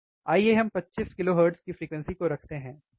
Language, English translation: Hindi, Let us keep frequency of 25 kilohertz, alright